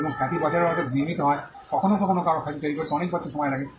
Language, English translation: Bengali, And a reputation is built over years sometimes it takes many years for somebody to build a reputation